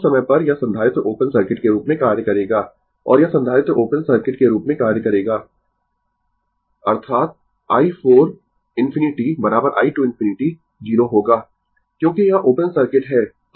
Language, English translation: Hindi, At that time, this capacitor will act as open circuit and this capacitor will act as open circuit; that means, i 4 infinity is equal to i 2 infinity will be 0